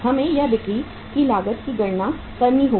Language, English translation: Hindi, We will have to calculate now the cost of sales